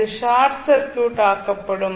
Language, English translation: Tamil, This will be short circuited